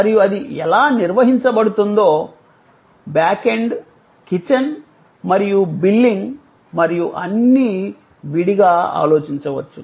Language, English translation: Telugu, And how it managed it is back end, the kitchen and it is billing and all that, could be thought of separately